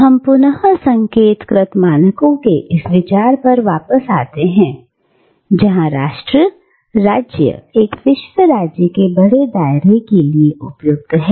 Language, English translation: Hindi, So again, we go back to this idea of concentric circles, where nation states fit within the large circle of a world state